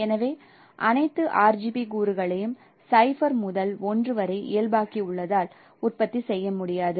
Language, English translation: Tamil, So it is not possible to produce no because we have normalized all RGB component to 0 to 1